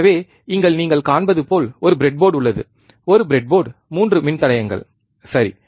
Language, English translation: Tamil, So, there is a breadboard as you see here there is a breadboard 3 resistors, right